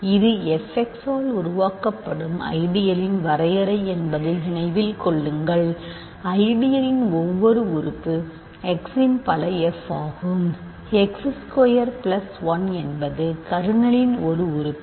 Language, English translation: Tamil, Remember this is the definition of the ideal generated by f x, every element of the ideal is a multiple f of x; x is squared plus 1 is an element of the kernel